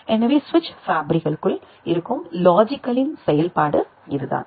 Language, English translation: Tamil, So, that is the functionality of the logic gates which are there inside the switch fabrics